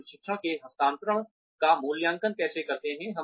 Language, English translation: Hindi, How do we evaluate the transfer of training